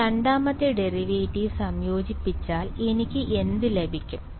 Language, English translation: Malayalam, So, if I integrate the second derivative what do I get